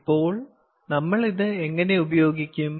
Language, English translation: Malayalam, now, how are we going to use this